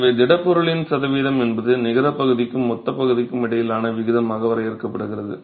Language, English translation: Tamil, So, percentage solid is defined as the ratio of net area to gross area